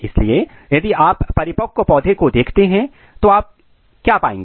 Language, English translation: Hindi, So, as you see a typical mature plant, what you will find